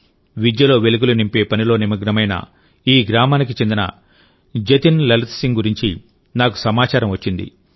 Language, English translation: Telugu, I have come to know about Jatin Lalit Singh ji of this village, who is engaged in kindling the flame of education